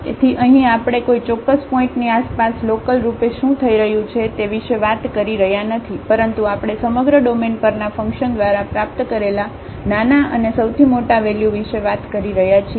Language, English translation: Gujarati, So, here we are not talking about what is happening locally around a certain point, but we are talking about the smallest and the largest values attained by the function over the entire domain